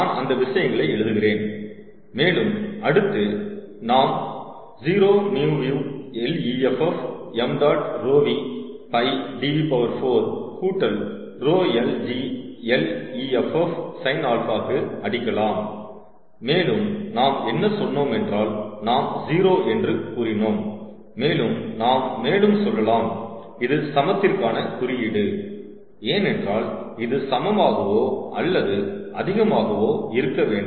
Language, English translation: Tamil, let me write the thing and then we will strike it to zero: mu v l effective m dot, rho v, pi d v to the power four plus rho l g l effective sin, alpha, ok, and what we said is this: we will said to zero, ok, and let us also said this to equality sign, because this is what it has: to be: greater than equal, equal to